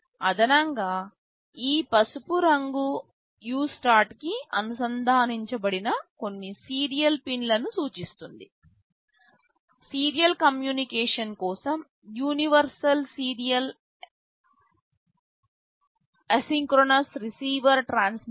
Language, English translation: Telugu, In addition these yellow ones refer to some serial pins that are connected to USART – universal serial asynchronous receiver transmitter for serial communication